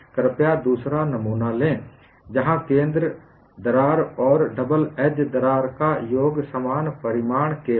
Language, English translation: Hindi, Please take the second specimen where the center crack and some of the double edge cracks are of equal magnitudes